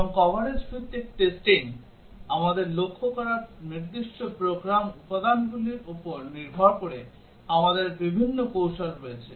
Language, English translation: Bengali, And the coverage based testing, we have different strategies depending on the specific program elements that we target